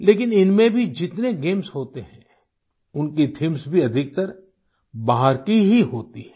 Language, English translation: Hindi, But even in these games, their themes are mostly extraneous